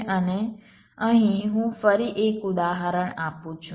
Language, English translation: Gujarati, let here i am giving an example again